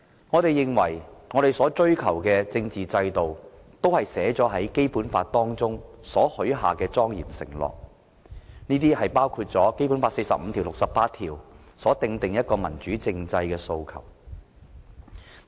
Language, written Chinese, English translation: Cantonese, 我們所追求的政治制度，是在《基本法》中許下的莊嚴承諾，包括第四十五條及第六十八條所訂的民主政制訴求。, The political system that we are pursuing is a democratic political system solemnly promised by the Basic Law which complies with the provisions of Article 45 and Article 68 among other things